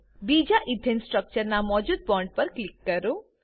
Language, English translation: Gujarati, Click on the existing bond of the second Ethane structure